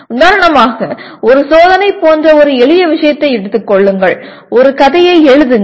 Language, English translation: Tamil, For example take a simple thing like a test could be write a story